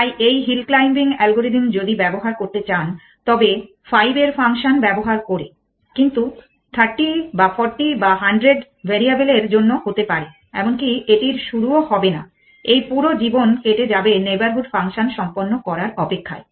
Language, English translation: Bengali, So, this hill claiming algorithm if you want to use this use they function the of 5, but may be for 30 or 40 or 100 variables would not even start of it would spend this whole life then waiting the neighborhood function done that